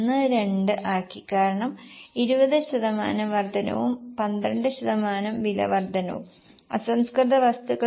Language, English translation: Malayalam, 12 because 20% increase and 12% increase because of price raw material into 1